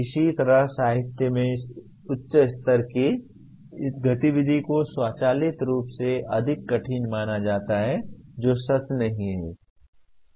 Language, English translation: Hindi, Somehow in the literature higher level activity is considered automatically more difficult which is not true